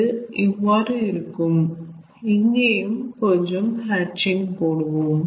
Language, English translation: Tamil, so it will be something like this: here also let us put the hatching